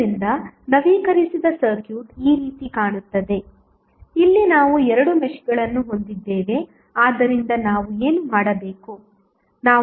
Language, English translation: Kannada, So, the updated circuit would be looking like this, here we have two meshes so what we have to do